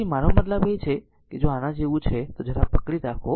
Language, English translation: Gujarati, So, this I mean if it is like this just hold on right